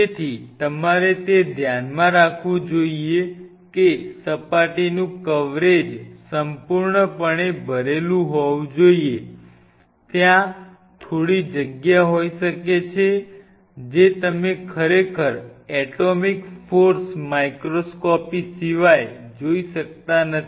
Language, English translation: Gujarati, So, you have to keep that in mind the surface coverage should be completely full leaving a side of course, there may be little space that you cannot really judge unless otherwise you do atomic force microscopy on it